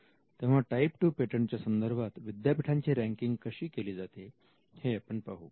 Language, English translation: Marathi, Now we will see this when we look at the ranking of universities how it is type 2 patenting